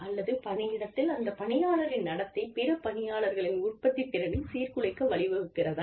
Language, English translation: Tamil, Or, whether it is leading to behaviors by the employee, that disrupt the productivity, the output of other employees, in the workplace